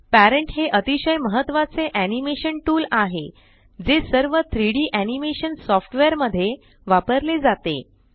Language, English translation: Marathi, Parentis the most important animation tool used in all 3D animation softwares